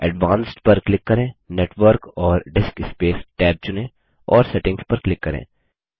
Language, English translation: Hindi, Click on Advanced, select Network and DiskSpace tab and click Settings